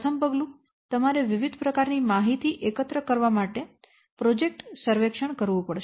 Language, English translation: Gujarati, First step, you have to conduct projects surveys to collect various types of information